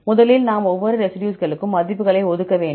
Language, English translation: Tamil, First we have to assign values for each of the residues